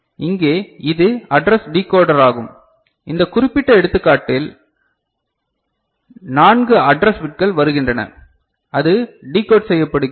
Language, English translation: Tamil, So, here this is the address decoder to which in this particular example 4 address bits are coming and that is getting decoded